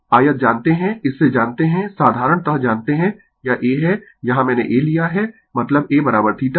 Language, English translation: Hindi, You know rectangle from that you know in general you know this is a here A here I have taken A means A is equal to theta right